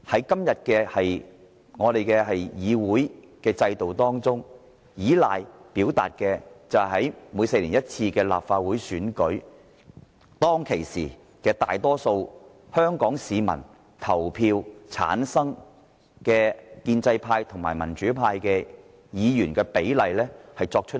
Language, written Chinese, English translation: Cantonese, 今天的議會制度，是依照在每4年一度的立法會選舉中，由大多數香港市民投票產生的建制派及民主派議員的比例來作出決定。, Under the current system of the Legislative Council decisions will be made according to the proportion of pro - establishment Members to pro - democracy Members returned by the majority of Hong Kong people in the Legislative Council Election held every four years